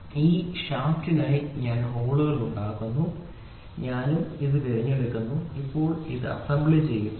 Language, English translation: Malayalam, So, counter for this shaft I make holes and I also pick this now I do assembly, ok